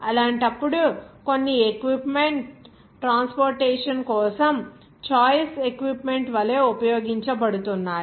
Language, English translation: Telugu, In that case, some equipment is being used like choice equipment for transportation